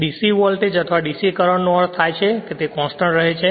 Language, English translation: Gujarati, Actually DC voltage or DC current means suppose it is remains constant